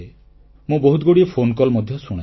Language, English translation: Odia, I listen to many phone calls too